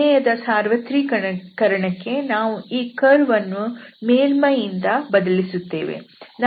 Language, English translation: Kannada, For the generalization, the curve will be replaced by a surface